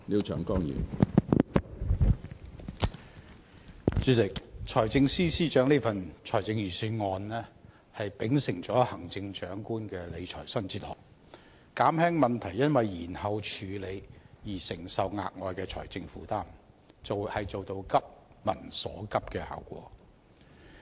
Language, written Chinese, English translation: Cantonese, 主席，財政司司長這份財政預算案秉承了行政長官的理財新哲學，減輕問題因延後處理而承受的額外財政負擔，做到"急民所急"的效果。, Chairman adhering to the Chief Executives new fiscal philosophy this Budget by the Financial Secretary has reduced the extra expenditure which may be incurred if action is delayed thereby addressing peoples most pressing needs